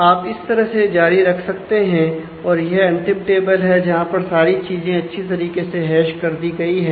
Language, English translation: Hindi, So, you can continue in this way and this is a final table where all things have been hashed well